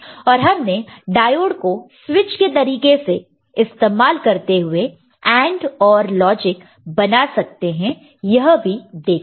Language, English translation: Hindi, And we have seen the diode as a switch can be used to generate AND, OR logic